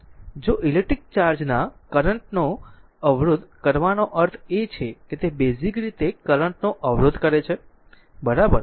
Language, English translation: Gujarati, If you resisting the flow of electric charge means it is basically resisting the flow of current, right